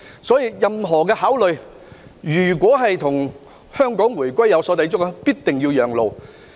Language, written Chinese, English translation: Cantonese, 所以，任何的考慮，如果與香港回歸有所抵觸，便必定要讓路。, As such any proposal detrimental to Hong Kongs return must be abandoned